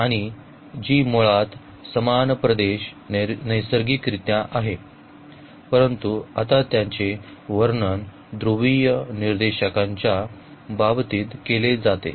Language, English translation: Marathi, And this G is basically the same the same region naturally, but now it is described in terms of the polar coordinates